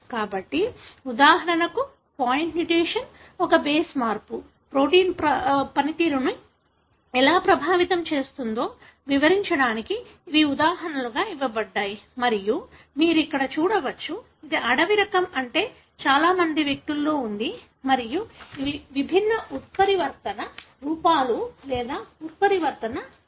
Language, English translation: Telugu, So, these are examples given to explain how for example point mutation, one base change, can affect the way the protein functions and you can see here, this is wild type meaning present in majority of the individuals and these are the different mutant forms or mutant alleles